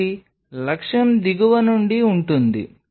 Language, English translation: Telugu, So, objective is from the bottom